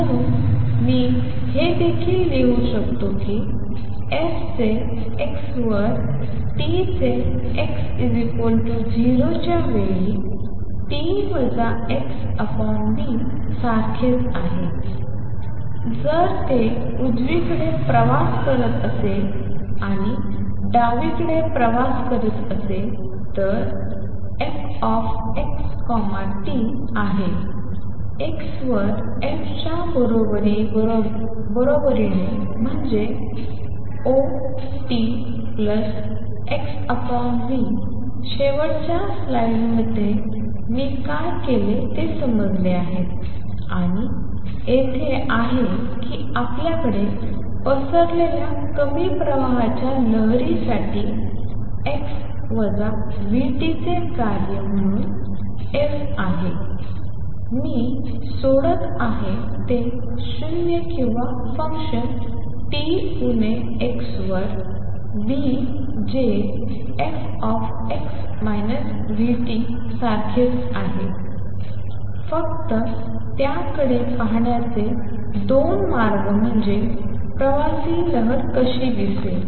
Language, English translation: Marathi, So, I can also write that f of x at t is same as f at x equal to 0 at time t minus x over v, if it is travelling to the right and if it is travelling to the left f x t is equal to f at x is equal to 0 t plus x over v, what we have understood what I did in the last slide and here that for a dispersion less travelling wave what we have is f as a function of x minus v t, I am dropping that 0 or a function t minus x over v which is a same as f x minus v t just 2 ways of looking at it that is how a travelling wave would look